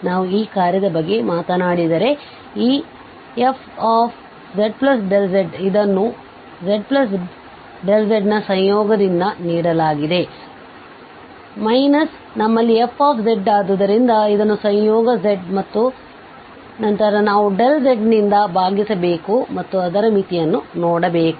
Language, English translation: Kannada, If we talk about this function, then this f z plus delta z, it is given by the conjugate of this z plus delta z minus we have f z so, which is defined exactly with the conjugate z and then we have to divide by the delta z and look for its limit